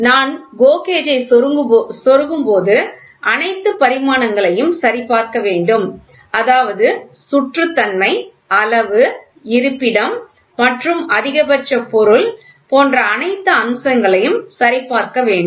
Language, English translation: Tamil, So, when I insert the GO gauge I should check for all for the all features such as roundness, size, location as well as the maximum material conditions